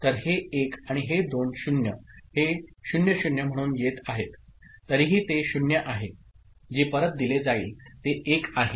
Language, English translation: Marathi, So, these 1s and these two 0s will be coming as two 0s still it is 0, what will be fed back is 1